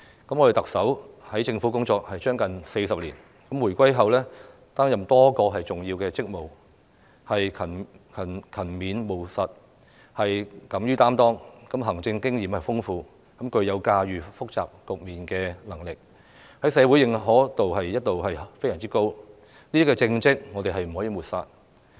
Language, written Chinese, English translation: Cantonese, 特首在政府工作近40年，回歸後擔任多個重要職務，勤勉務實，敢於擔當，行政經驗豐富，具有駕馭複雜局面的能力，在社會的認可度一直非常高，這些政績我們不能抹煞。, The Chief Executive has served the Government for nearly 40 years and held a number of important positions since the reunification . She has been highly recognized by society for her diligence pragmatic style sense of responsibility rich administrative experience and ability to manage complicated situations . We cannot write off these achievements